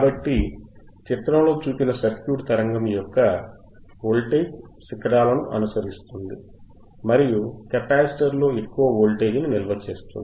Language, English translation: Telugu, So, let us see, the circuit shown in figure follows the voltage peaks of a signal and stores the highest value on a capacitor